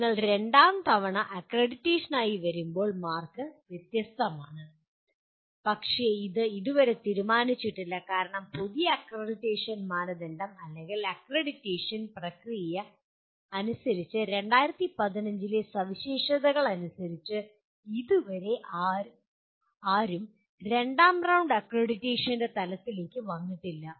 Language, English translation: Malayalam, When you come for the second time for accreditation the marks are different but that has not been yet decided because as per the new accreditation criteria or accreditation process no one has yet come to the level of second round accreditation as per the 2015 specifications